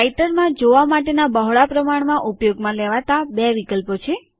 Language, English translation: Gujarati, There are basically two widely used viewing options in Writer